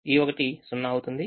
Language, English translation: Telugu, one becomes zero